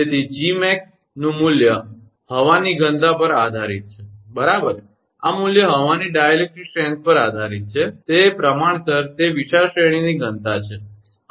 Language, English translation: Gujarati, So, value of Gmax 0 depends upon the density of the air, right this value depends on the dielectric strength of air, is proportional to it is density over a wide range, right